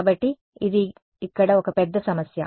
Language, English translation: Telugu, So, that is that is one huge problem over here